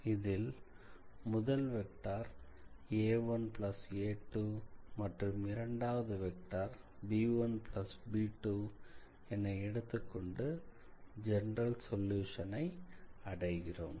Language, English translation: Tamil, And then, you take a 1 plus a 2 as a new vector and a 2 b 1 plus b 2 as the second vector and that is basically how you obtain this general solution